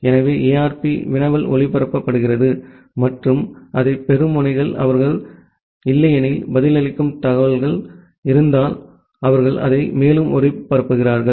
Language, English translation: Tamil, So, the query ARP query is broadcasted and the nodes which receive that, if they have the information they reply back otherwise, they further broadcast it